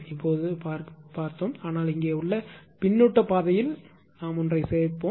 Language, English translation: Tamil, Now we have seen this one we have seen this one, but here we will add one for your were feedback path right